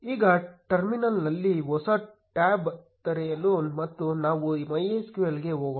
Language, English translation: Kannada, Now, open a new tab in the terminal and let us go to MySQL